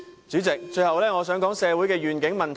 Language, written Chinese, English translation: Cantonese, 主席，最後我想討論社會的願景問題。, Finally President I would like to discuss the issue of social vision